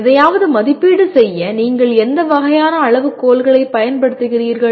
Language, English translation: Tamil, What kind of criteria do you use for evaluating something